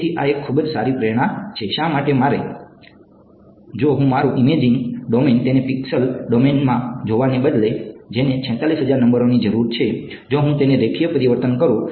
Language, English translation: Gujarati, So, this is sort of a very good motivation why, if my imaging domain instead of looking at it in the pixel domain which needs 46000 numbers, if I transform it a linear transformation